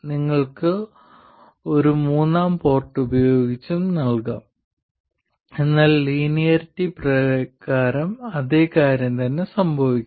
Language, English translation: Malayalam, You can provide it using a third port but by linearity exactly the same thing will happen